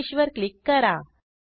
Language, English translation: Marathi, And then click on Finish